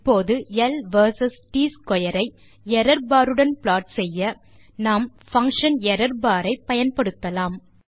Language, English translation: Tamil, Now to plot L vs T square with an error bar we use the function errorbar()